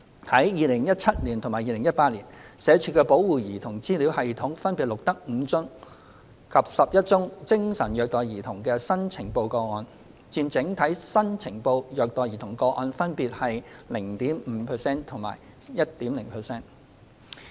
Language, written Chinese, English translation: Cantonese, 在2017年及2018年，社署的保護兒童資料系統分別錄得5宗及11宗精神虐待兒童的新呈報個案，佔整體新呈報虐待兒童個案分別約 0.5% 及 1.0%。, The Child Protection Registry of SWD recorded a total of 5 and 11 cases of psychological abuse of children accounting for about 0.5 % and 1.0 % of the total number of the newly reported child abuse cases in 2017 and 2018 respectively